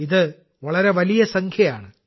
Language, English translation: Malayalam, This is a very big number